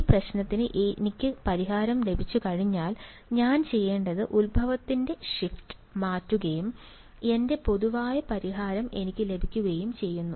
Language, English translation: Malayalam, Once I get the solution to this problem, all I have to do is do a change shift of origin and I get my general solution ok